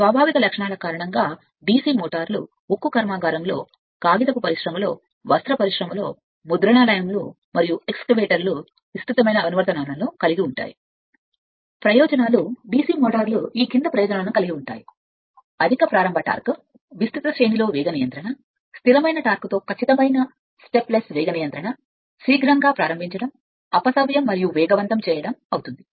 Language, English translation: Telugu, Because of the inherent characteristics DC motors find extensive application in steel plant, paper mills, cranes, textile mills, printing presses, and excavators right And advantages DC motors possess the following advantages; high starting torque, speed control over a wide range, accurate stepless speed control with constant torque, quick starting, stopping reversing and accelerating